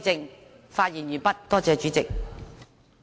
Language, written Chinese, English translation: Cantonese, 我發言完畢，多謝主席。, These are my remarks . Thank you Chairman